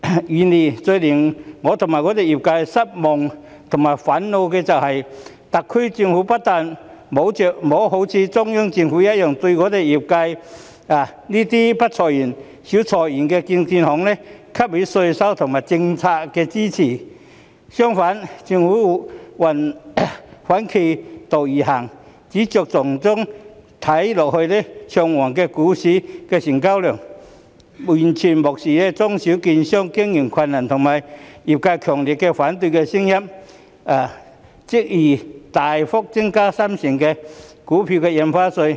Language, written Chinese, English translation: Cantonese, 然而，最令我與我的業界失望和憤怒的是，特區政府不但沒有如中央政府一樣，對我們業界這些不裁員、少裁員的證券行給予稅務和政策支持，相反，政府反其道而行，只着重於看似昌旺的股市成交量，完全無視中小券商經營困難和業界強烈反對的聲音，執意大幅增加三成股票印花稅。, However what is most disappointing and infuriating to me and my industry is that the SAR Government has not only failed to provide taxation and policy support for securities brokers in our industry that do not or seldom lay off employees as the Central Government has done . On the contrary the Government acts in the opposite direction focusing only on the seemingly prosperous stock market turnover . Completely ignoring the business difficulties of small and medium - sized securities brokers and the strong opposition of the industry it insists on substantially increasing the stamp duty on stock transfers by 30 %